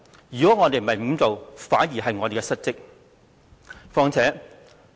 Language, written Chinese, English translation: Cantonese, 如果我們沒有這樣做，反而是我們失職。, If we fail to do so it would be dereliction of duty on our part